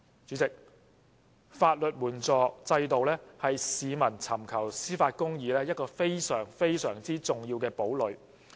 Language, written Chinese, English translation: Cantonese, 主席，法援制度是市民尋求公義的一個非常、非常重要的堡壘。, President the legal aid system is a very important fortress for the public to pursue justice